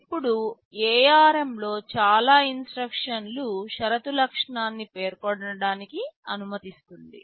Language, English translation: Telugu, Now most instruction in ARM allows a condition attribute to be specified